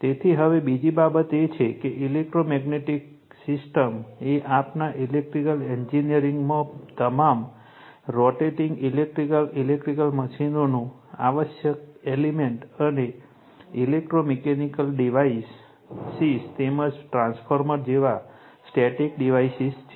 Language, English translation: Gujarati, So that is your now and another thing is the electromagnetic system is an essential element of all rotating electrical electric machines in our electrical engineering we see, and electro mechanical devices as well as static devices like transformer right